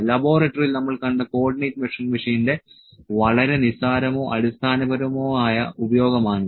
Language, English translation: Malayalam, This was just very trivial or very basic use of Co ordinate Measuring Machine that we saw in the laboratory